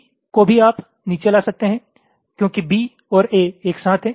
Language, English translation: Hindi, b also you can move down because b and a are together